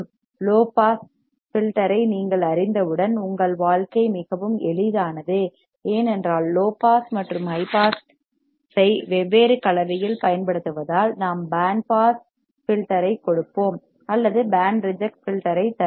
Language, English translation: Tamil, Now once you know low pass filter your life become super easy, because using the low pass and high pass in different combination, we will give us the band pass filter or we will give us the band reject filter